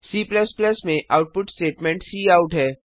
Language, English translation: Hindi, The output statement in C++ is cout